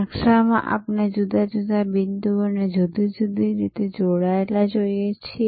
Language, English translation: Gujarati, So, the map just like in a map we see different points connected through different ways